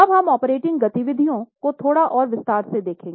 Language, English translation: Hindi, Now let us look at operating activities little more in detail